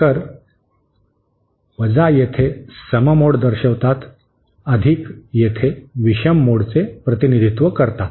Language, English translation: Marathi, So, here represents the even mode, + here represents the odd mode, similarly here